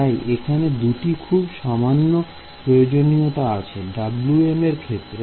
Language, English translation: Bengali, So, there are, at the very minimum, there are two requirements on Wm